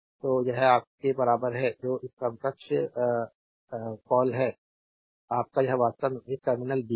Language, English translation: Hindi, So, this is equivalent your what you call this equivalent is your this is actually a this terminal is b